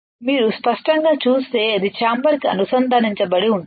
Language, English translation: Telugu, If you see clearly, it is connected to the chamber